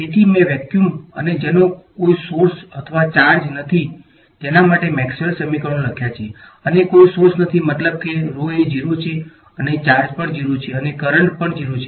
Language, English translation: Gujarati, So, I have written down Maxwell’s equations in vacuum and vacuum which has no sources or charges, no sources means rho is 0, no and charges also 0 and current is also 0 right